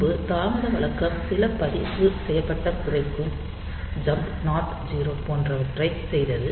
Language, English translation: Tamil, So, previously the delay routine was doing some registered decrementing jump not 0 etcetera